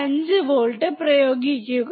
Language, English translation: Malayalam, 5 volts first